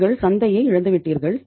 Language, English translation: Tamil, You have lost the market